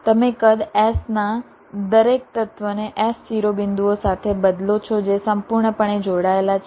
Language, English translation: Gujarati, you replace each element of a size s with s vertices which are fully connected